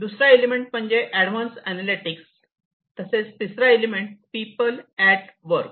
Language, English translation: Marathi, The second key element is advanced analytics, and the third one is we have people at work